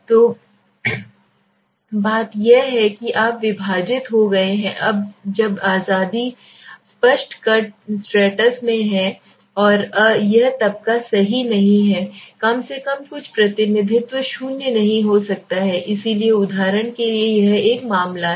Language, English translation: Hindi, So the thing is that you have divided when the population into several clear cut stratus and this strata s are reprentating right there is at least some representation it cannot be zero that is a very important thing okay so for example it is a case